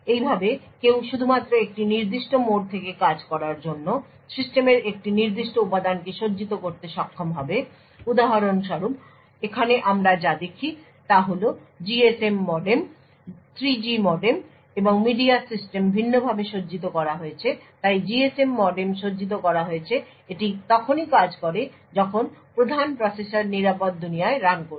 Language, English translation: Bengali, Thus one would be able to configure a particular component in the system to work only from a particular mode for example over here what we see is that the GSM modem, 3G modem and the media system is configured differently so the GSM modem is configured so that it works only when the main processor is running in the secure world